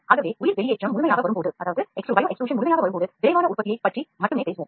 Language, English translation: Tamil, So when bio extrusion comes into fullest extent, we will talk more of rapid manufacturing only, the prototyping is gone